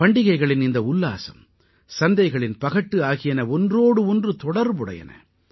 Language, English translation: Tamil, The fervour of festivals and the glitter and sparkle of the marketplace are interconnected